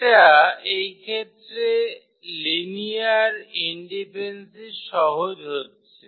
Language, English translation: Bengali, So, that says easy check for the linear independency in for this case